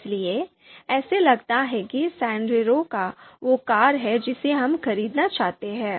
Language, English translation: Hindi, So it seems that Sandero is the car that we would like to buy